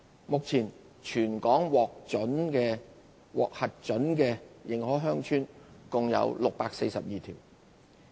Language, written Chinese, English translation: Cantonese, 目前全港獲核准的認可鄉村共642條。, At present there are a total of 642 approved recognized villages in the territory